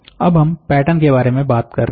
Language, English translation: Hindi, So, now we are talking about patterns